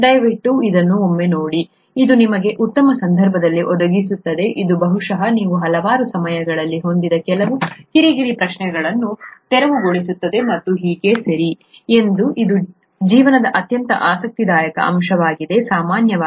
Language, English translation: Kannada, Please take a look at it, it will provide you with a nice context, it will probably clear up quite a few of those nagging questions that you may have had at several points in time and so on, okay, it’s very interesting aspect of life in general